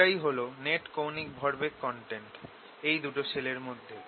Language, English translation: Bengali, that is the net angular momentum content between these two shells